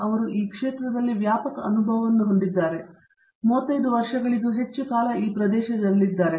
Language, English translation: Kannada, He has extensive experience in this field; he has been in this area for over 35 years now